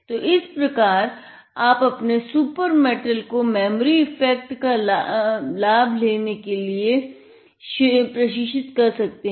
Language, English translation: Hindi, So, this is how you can train your, the super metal to have and leverage the memory effect